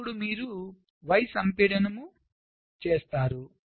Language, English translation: Telugu, then you do y compaction